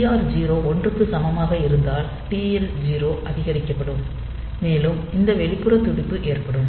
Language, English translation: Tamil, So, TH 0 and TL 0 they will be incremented when TR 0 is set to 1, and an external pulse occurs